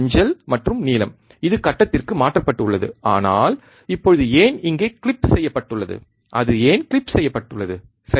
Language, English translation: Tamil, Yellow and blue it is the out of phase, but why it is the now clipped here why it is clipped, right